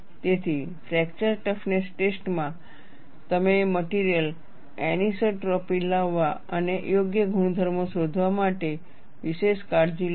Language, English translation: Gujarati, So, in fracture toughness testing, you also take special care to bring in the material anisotropy and find out the appropriate properties